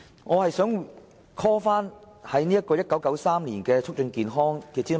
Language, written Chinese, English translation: Cantonese, 我想重提政府於1993年發表的"促進健康"諮詢文件。, Here I would like to talk about an old consultation document entitled Towards Better Health and published by the Government in 1993